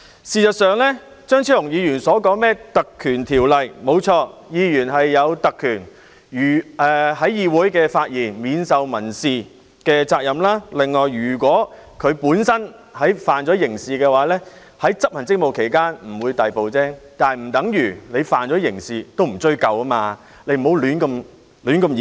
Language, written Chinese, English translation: Cantonese, 事實上，張超雄議員提及《立法會條例》，誠然，議員享有特權，無須為在議會內的發言承擔民事責任；此外，如果他觸犯刑事罪行，在執行職務期間不會被逮捕，但這不等於他觸犯刑事罪行亦不會被追究，請不要胡亂演繹。, It is true that Members enjoy the privilege of not having to bear civil liabilities for their speeches given in the legislature . In addition if a Member has committed a criminal offence he will not be liable to arrest whilst performing his duties . Yet this does not mean that no action would be taken against him if he has committed a criminal offence